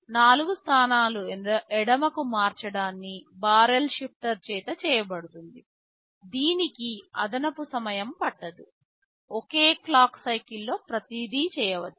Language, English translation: Telugu, So shifted left by 4 positions will be done by the barrel shifter, it will not take any additional time, in that single clock cycle everything can be done